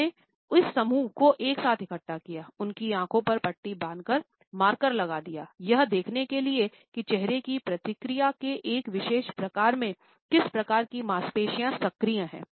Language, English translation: Hindi, He had gathered together this group, blindfolded them, put markers on their faces to identify what type of muscles are active in a particular type of facial response